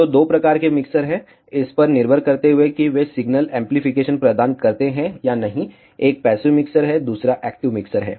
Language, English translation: Hindi, So, there are two types of mixers, depending on whether they provide signal amplification or not, one is a passive mixer, another one is an active mixer